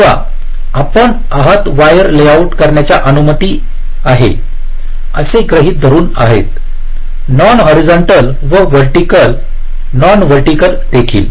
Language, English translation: Marathi, so we are assuming that we are allowed to layout the wires which are non horizontal and vertical, non vertical also